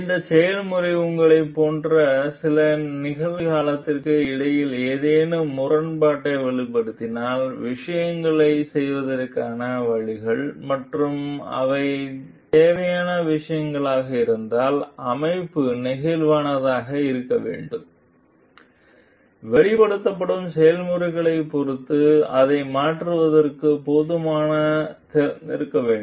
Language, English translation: Tamil, So, if the process reveals any discrepancy between a present like you present functions ways of doing things and they are required things then the organization must be flexible, must be open enough to change it with respect to the processes that is getting reveled